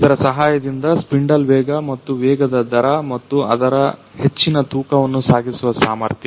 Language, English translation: Kannada, So, with the help of this spindle speed and the rate at which speed and its high weight carrying capacity